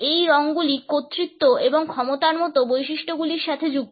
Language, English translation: Bengali, These colors are associated with traits like authority and power